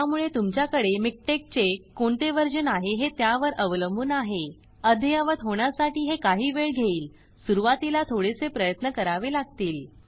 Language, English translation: Marathi, So it depends on what version of MikTeX you have, it could take some time to update, initially it could take a little bit of effort